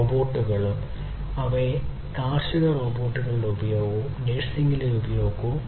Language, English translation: Malayalam, Robots and their use in agriculture robots and their use in nursing